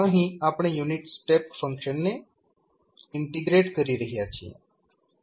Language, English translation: Gujarati, Here, we are integrating the unit step function